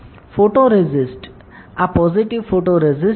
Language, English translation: Gujarati, So, photoresist, this is positive photoresist